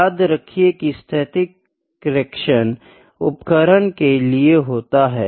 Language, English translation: Hindi, Please remember, static connection is for the instrument